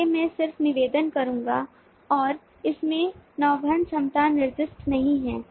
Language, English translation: Hindi, so i would just request: and in this the navigability is not specified